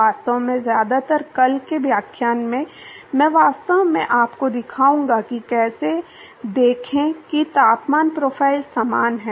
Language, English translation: Hindi, Will actually mostly in tomorrow’s lecture, I will actually show you how to see that the temperature profiles are the similar